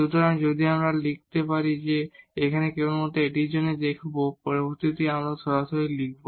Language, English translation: Bengali, So, if we can I will show you just for this one the next we will directly write